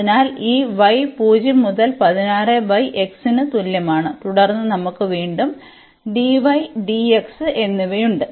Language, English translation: Malayalam, So, this y is equal to 0 to 16 over x and then we have again dy and dx